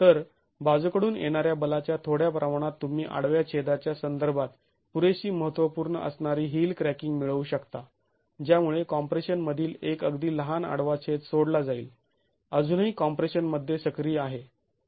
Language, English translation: Marathi, So, with a little bit of lateral force you can get the heel cracking that is going to be significant enough with respect to the cross section, leaving only a very small cross section in compression, still active in compression